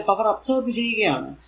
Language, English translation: Malayalam, So, it will be power absorbed